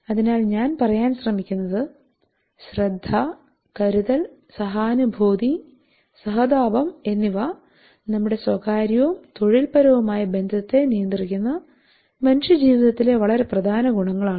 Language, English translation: Malayalam, So what I am trying to say they are concern empathy sympathizes very important attributes of human life that controls our private and professional relationship